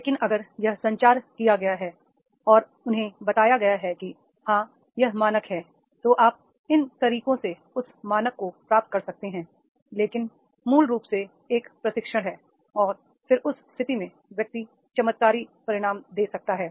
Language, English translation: Hindi, But if it has been communicated and told to them that is yes, this is a standard, you can achieve that standard by these means, that is a training program basically and then in that case the person can give the miracle results are there